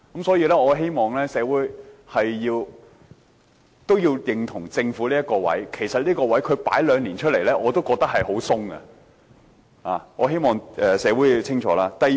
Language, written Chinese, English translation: Cantonese, 所以，我希望社會認同政府這個觀點，其實同居兩年的要求，我已經覺得十分寬鬆，我希望社會清楚這一點。, Therefore I hope society will agree with the Governments viewpoint . In my view the requirement of minimum two years of cohabitation is already very relaxed . I hope society can clearly understand this